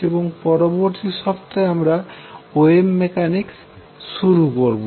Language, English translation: Bengali, And we stop here on this, and next week onwards we start on wave mechanics